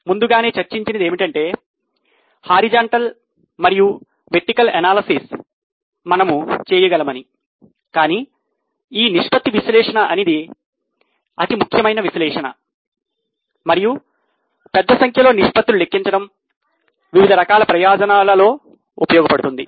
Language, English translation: Telugu, We have also discussed that we can do horizontal as well as vertical analysis but the most important type of analysis is ratio analysis and large number of ratios can be calculated serving variety of purposes